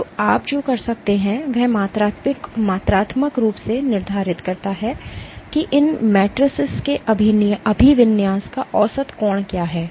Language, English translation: Hindi, So, what you can do is quantitatively determine what is the average angle of orientation of these matrices